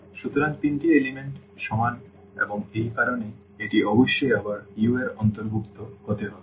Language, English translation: Bengali, So, all three components are equal and that that is the reason it must belong to this U again